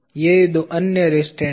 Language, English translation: Hindi, These are the two other restraints